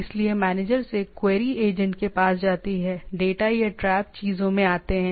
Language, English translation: Hindi, So, from the manager, the query goes to the agent, the data or traps comes to the things